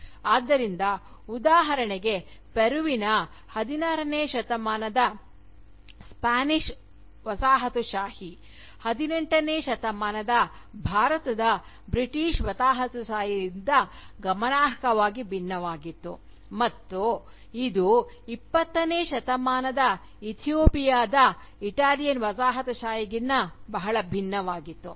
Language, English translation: Kannada, Thus, for instance, the 16th century Spanish Colonialism of Peru, was markedly different from the 18th century British Colonialism of India, which in turn, was again, very different from the 20th century Italian Colonialism of Ethiopia